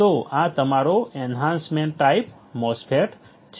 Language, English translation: Gujarati, So, this is your enhancement type MOSFET